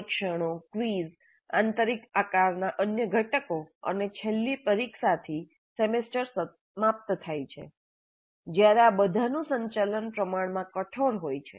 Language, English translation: Gujarati, The tests, the quizzes, other components of internal assessment, and finally the semester and examination, when all these need to be conducted, is fairly rigid